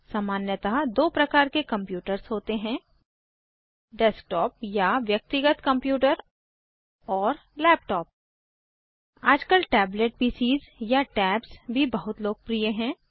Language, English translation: Hindi, Generally, there are 2 types of computers Desktop or Personal Computer and Laptop Now a days, tablet PCs or tabs for short, are also quite popular